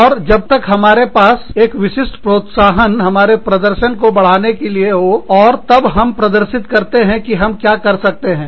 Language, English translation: Hindi, And unless, we have a specific incentive, to increase our performance, and demonstrate, what we can do